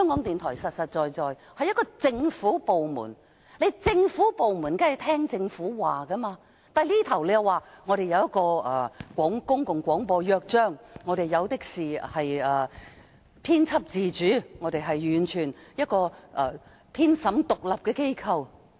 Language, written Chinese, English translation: Cantonese, 港台實實在在是一個政府部門，當然要聽從政府，但港台指有一份"公共廣播約章"，有編輯自主，是一個編審完全獨立的機構。, On the one hand RTHK is truly a government department which has to listen to the Government . On the other hand RTHK points out that it has a charter on public service broadcasting and editorial autonomy and it is an organization enjoying complete editorial independence